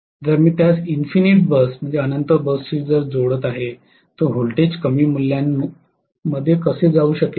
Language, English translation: Marathi, If I am connecting it to infinite bus, how can the voltage go to lower values